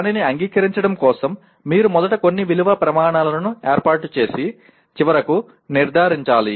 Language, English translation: Telugu, That is for accepting it you first establish some value criteria and then finally judge